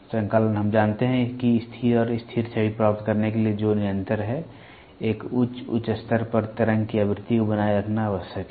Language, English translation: Hindi, Synchronization, we know that to obtain a stable and a stationary image which is continuous, it is essential to maintain the frequency of the waveform at an optimal high level